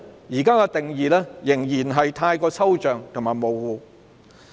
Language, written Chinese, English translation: Cantonese, 現在的定義仍然太抽象和模糊。, The present definition is still too abstract and vague